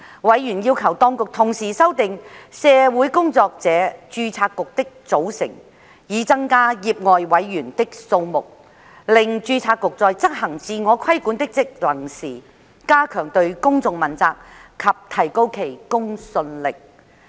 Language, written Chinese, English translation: Cantonese, 委員要求當局同時修訂社會工作者註冊局的組成，以增加業外委員的數目，令註冊局在執行自我規管的職能時，加強對公眾問責及提高其公信力。, Members requested the Administration to revise the composition of the Social Workers Registration Board SWRB to increase the number of lay members so that SWRBs public accountability and credibility could be enhanced when discharging its self - regulatory function